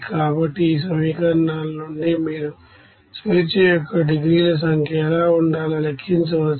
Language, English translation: Telugu, So from these you know equations you can calculate what should be the number of degrees of freedom